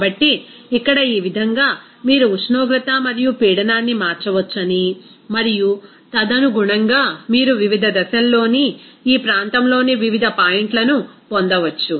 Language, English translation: Telugu, So, here in this way, you can say that you can change the temperature and pressure and accordingly, you can get the different points in this region of the different phases